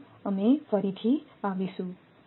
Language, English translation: Gujarati, Thank you, we will come again